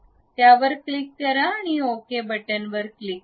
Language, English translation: Marathi, Then click ok